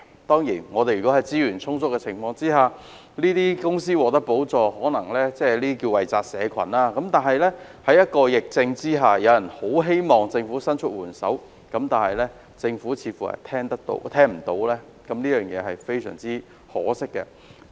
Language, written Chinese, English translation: Cantonese, 當然，在資源充足的情況下向有關公司提供補助，可謂"惠澤社群"，但在疫情下，有業界希望政府伸出援手，但政府卻似乎充耳不聞，這實在非常可惜。, Certainly given sufficient resources the provision of subsidies to the relevant companies can be regarded as benefiting the community . Nonetheless in the midst of the epidemic certain industries hope that the Government can lend them a helping hand . Regrettably the Government seems to have turned a deaf ear to them